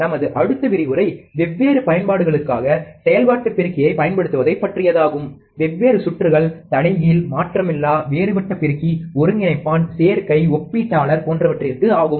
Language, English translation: Tamil, Our next lecture would consist of using the operational amplifier for different applications; like, different circuits inverting, non inverting, differential amplifier, integrator, adder, comparator